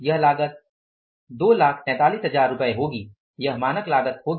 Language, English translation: Hindi, This cost is going to be rupees, $243,000 is going to be the standard cost